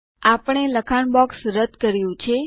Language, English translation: Gujarati, There, we have removed the text box